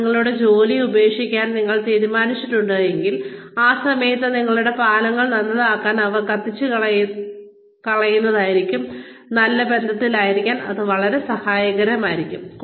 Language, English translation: Malayalam, So, if you have decided to leave your job, at that point, it will be very helpful to be on good terms, to mend your bridges, and not burn them